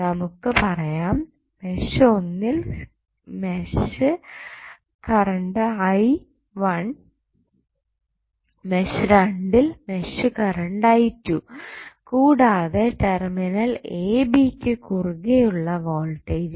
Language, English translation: Malayalam, So, let us say I1 is the mesh current in mesh 1, I2 is the mesh current in mesh 2 and voltage across terminals AB is Vth